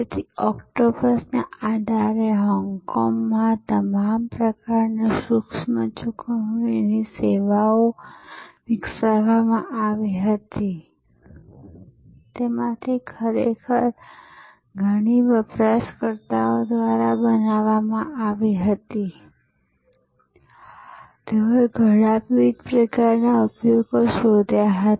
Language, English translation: Gujarati, So, based on this octopus, all kinds of micro payment services were developed in Hong Kong, many of those were actually created by the users themselves, they innovated many different types of usages